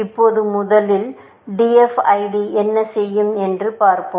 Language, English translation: Tamil, Now, first, let us see, what DFID would do